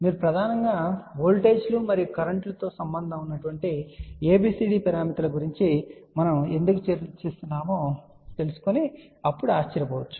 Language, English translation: Telugu, Then you might wander then why we are discussing about ABCD parameters which are mainly concerned with voltages and currents